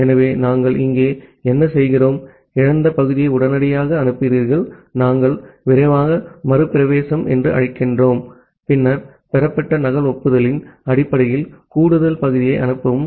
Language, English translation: Tamil, So, what we do here, you immediately transmit the lost segment, that we call as the fast retransmit, and then transmit additional segment based on the duplicate acknowledgement that has been received